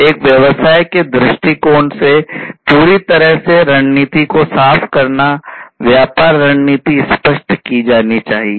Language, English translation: Hindi, Clearing the strategy completely from a business point of view; business strategy should be clarified